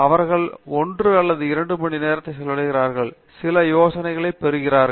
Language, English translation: Tamil, And then they spend 1 or 2 hours, get some ideas and go away